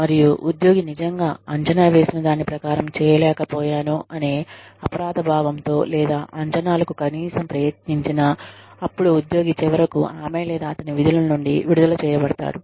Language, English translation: Telugu, And, if the employee is really found to be guilty, of not having done, whatever was expected, or, at least having tried, whatever was expected, then the employee is finally discharged, from her or his duties